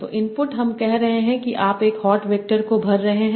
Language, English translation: Hindi, So, input we are saying we are feeding one hot vectors